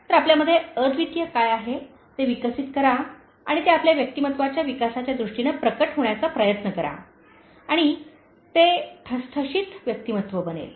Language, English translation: Marathi, So develop what is unique in you and try to make that manifested in terms of developing your personality and that becomes the Signature Personality